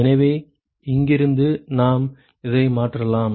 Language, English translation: Tamil, So, from here we can substitute this